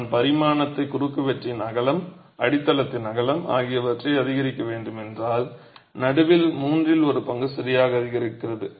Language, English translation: Tamil, If I way to increase the dimension, the width of the cross section, the width of the base itself, the middle one third increases